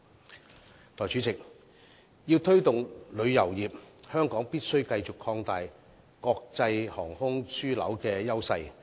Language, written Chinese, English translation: Cantonese, 代理主席，要推動旅遊業，香港必須繼續擴大國際航空樞紐的優勢。, Deputy President in order to promote tourism Hong Kong must continue to enhance our advantage as an international aviation hub